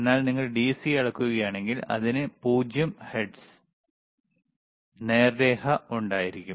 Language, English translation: Malayalam, But if you measure DC it will have 0 hertz, straight line